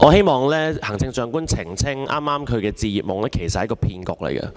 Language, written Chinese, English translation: Cantonese, 我希望行政長官澄清，她剛才提及的"置業夢"其實只是一個騙局。, I wish to seek elucidation from the Chief Executive . The home - ownership dream mentioned by her just now is actually only a scam